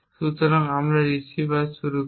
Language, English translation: Bengali, So, let us stop the receiver and the server